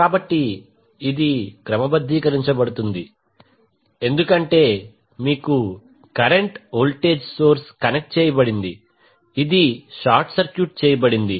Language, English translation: Telugu, So, this will be sorted because you have a current voltage source connected which was short circuited